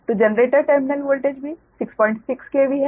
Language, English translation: Hindi, so generator terminal voltage is also six point six k v